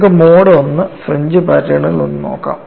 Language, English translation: Malayalam, Let us now look at the typical mode 1 fringe patterns